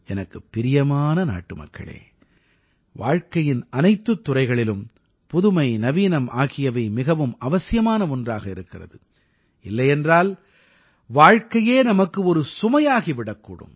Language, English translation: Tamil, Dear countrymen, novelty,modernization is essential in all fields of life, otherwise it becomes a burden at times